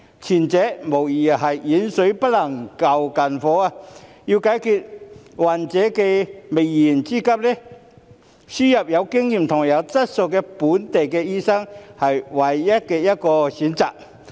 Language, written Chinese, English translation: Cantonese, 前者無疑是遠水不能救近火，要解決患者的燃眉之急，輸入有經驗及有質素的非本地培訓醫生，是目前唯一的選擇。, The former is undoubtedly distant water that cannot put out a fire nearby . To meet the pressing needs of patients importing experienced and quality non - locally trained doctors is the only option at present